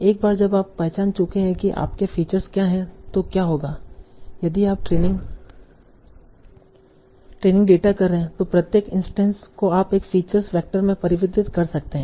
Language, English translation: Hindi, So now once you have identified what are your features, so what will happen in your training data, each instance you can convert in a feature vector